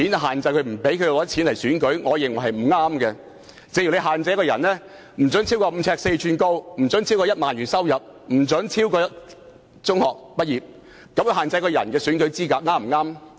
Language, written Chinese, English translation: Cantonese, 同一道理，如果我們把選舉資格限制為身高不得超過5呎4吋，收入不得超過1萬元，以及學歷不得超過中學畢業，這樣又對不對呢？, Likewise if there were eligibility requirements for candidates to be not taller than five feet four inches not earning more than 10,000 and not having an academic qualification higher than matriculation level would these requirements be appropriate?